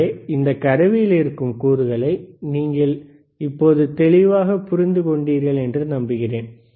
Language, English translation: Tamil, So, I hope now you are clear with thisese components within this equipment